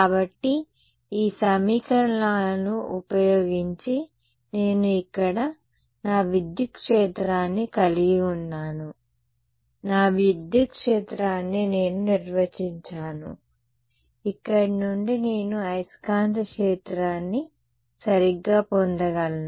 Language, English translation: Telugu, So, using these equations, I can get my I have my electric field here, I have defined my electric field, from here I can get the magnetic field right